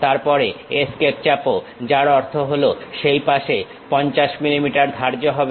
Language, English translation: Bengali, Then press Escape; that means, 50 millimeters is fixed on that side